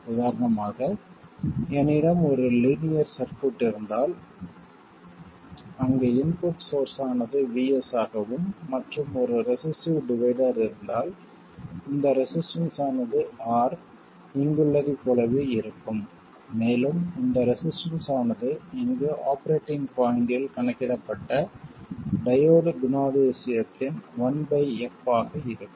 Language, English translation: Tamil, So, for instance, if I had a linear circuit where the input source is vS and there is a resistive divider, this resistance is R exactly the same as here, and this resistance is 1 by f prime of the diode characteristic calculated at the operating point, you will get the same solution, right